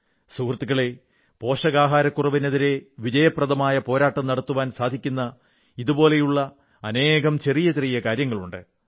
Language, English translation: Malayalam, My Friends, there are many little things that can be employed in our country's effective fight against malnutrition